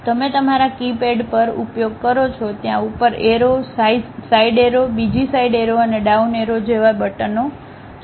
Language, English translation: Gujarati, You use on your keypad there are buttons like up arrow, side arrow, another side arrow, and down arrow